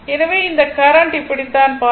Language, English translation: Tamil, So, current will flow like this